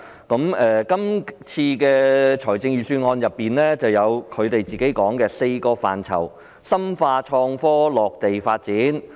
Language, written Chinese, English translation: Cantonese, 本年的財政預算案提出業界所倡議的"四大範疇深化創科落地發展"。, The Budget of this year puts forth the idea of deepening local development of innovation and technology in four major areas as advocated by the industry